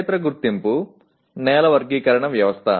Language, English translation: Telugu, Field identification, soil classification system